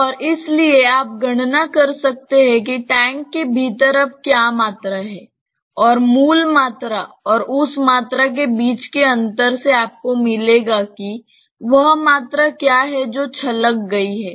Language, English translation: Hindi, And therefore, you can calculate what is the volume which is there now within the tank and the difference between the original volume and that volume will give you what is the volume that has got spilled